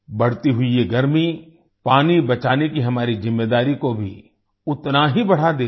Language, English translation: Hindi, This rising heat equally increases our responsibility to save water